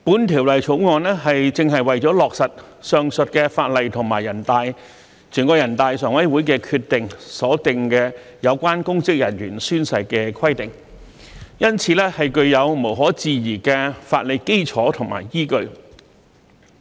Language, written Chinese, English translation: Cantonese, 《條例草案》正是為了落實上述法例及全國人大常委會的決定所訂有關公職人員宣誓的規定，因此，具有無可置疑的法理基礎和依據。, Since the Bill precisely seeks to implement the requirements on oath - taking by public officers as stipulated in the aforementioned laws and decisions of NPCSC it possesses the legal basis which is beyond doubt